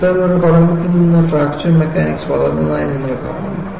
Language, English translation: Malayalam, So, you find fracture mechanics grew from such a study